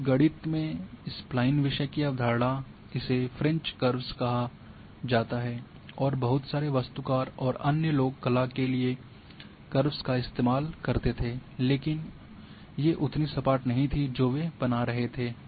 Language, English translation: Hindi, Now also Spline the concept of Spline theme of course from mathematics but it is called the french curves and lots of you know architect and other people used to have the curves for drawings and these were nothing for the smoothes the lines they were creating